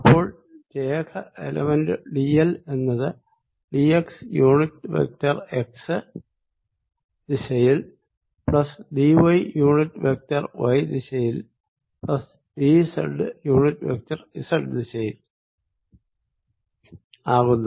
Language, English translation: Malayalam, so line element d l vector is given as d, x unit vector in x direction, plus d y unit vector in y direction, plus d z unit vector in z direction